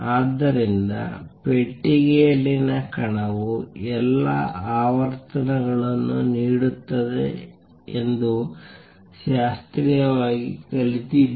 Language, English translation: Kannada, So, classically just learnt that particle in a box will give all frequencies